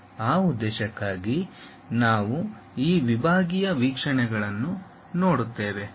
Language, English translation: Kannada, For that purpose we really look at this sectional views